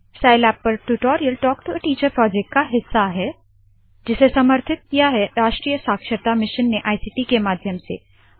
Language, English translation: Hindi, Spoken Tutorials are part of the Talk to a Teacher project, supported by the National Mission on Education through ICT